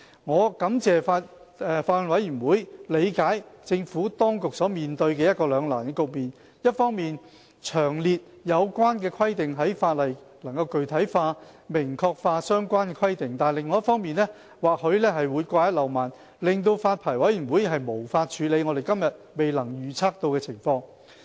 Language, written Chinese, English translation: Cantonese, 我感謝法案委員會理解政府當局所面對的兩難的局面：一方面，把有關規定詳列在法例內，能具體化、明確化相關的規定；但另一方面，或許會掛一漏萬，令發牌委員會無法處理我們今天未能預測到的情況。, I appreciate the Bills Committees understanding of the Administrations dilemma on the one hand stipulating the relevant requirements in detail in the legislation can make such requirements more concrete and explicit; yet on the other hand there might be omissions to render the Licensing Board unable to deal with the scenarios that we cannot project today